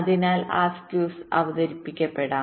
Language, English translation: Malayalam, so because of that skews might be introduced